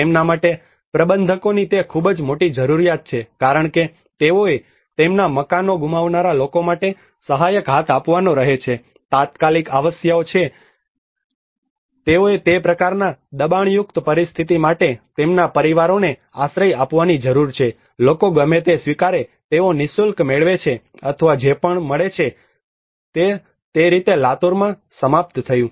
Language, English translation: Gujarati, The providers for them it is a great need because they have to give a helping hand for the people who lost their houses for them there is an immediate requirement that they need to shelter their families for that kind of pressurized situation, people tend to accept whatever they get for free or whatever they get that is how it ended in Latur